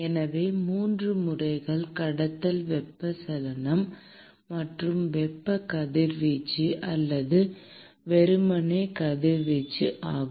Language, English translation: Tamil, So, the 3 modes are conduction, convection and thermal radiation or simply radiation